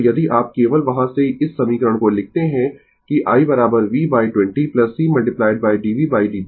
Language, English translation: Hindi, So, if you from that only we are writing this equation that i is equal to v by 20 plus c into d v by d t